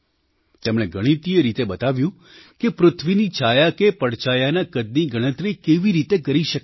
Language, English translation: Gujarati, Mathematically, he has described how to calculate the size of the shadow of the earth